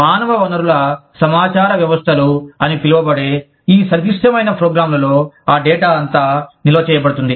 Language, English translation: Telugu, All that data is stored, in these very complex programs called, human resource information systems